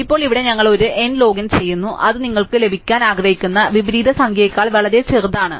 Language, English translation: Malayalam, Now, here we are doing it an n log n which is potentially much smaller than the number of inversion you want to get